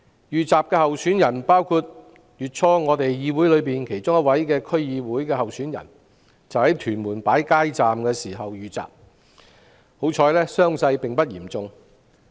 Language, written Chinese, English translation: Cantonese, 遇襲候選人包括議會內一位區議會候選人，他月初在屯門擺街站時遇襲，幸好傷勢並不嚴重。, One of the assaulted candidates is a Member of the Legislative Council . He was attacked early this month at a street booth in Tuen Mun . Fortunately he was not seriously injured